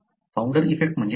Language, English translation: Marathi, What is founder effect